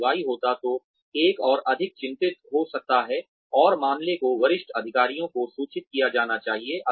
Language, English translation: Hindi, If Y happens, one could be more worried, and the matter should be reported to the senior authorities